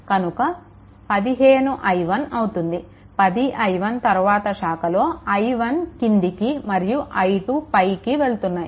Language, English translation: Telugu, So, basically 15 i 1, so plus 10 i 1 then plus this current is i 1 this direction and i 2 is going this direction